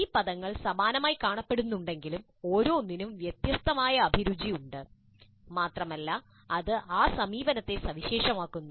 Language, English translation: Malayalam, Though these terms do look similar, each has certain distinctive flavors and it makes that approach unique